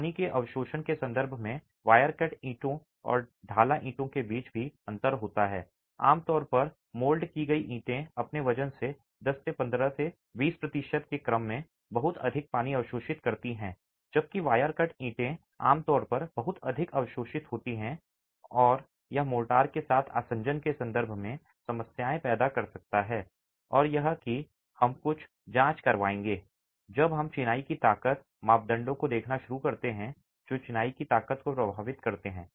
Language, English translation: Hindi, Typically the moulded bricks absorb much more water in the order of 10 to 15 to even 20% by its weight whereas the wire cut bricks typically absorb far lesser and this can create problems in terms of the adhesion with the mortar and that is something we will examine when we start looking at masonry strength and parameters that affect the masonry strength